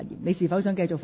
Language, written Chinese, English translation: Cantonese, 你是否想繼續發言？, Do you wish to continue?